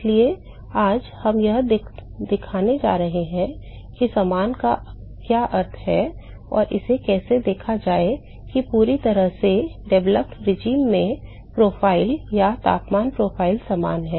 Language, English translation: Hindi, So, we going to show today what is meant by similar and how to see it how to see that the profiles or the temperature profile in the fully developed regime is similar